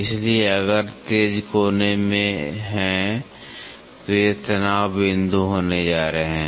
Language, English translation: Hindi, So, if there are sharp corners these are going to be stress points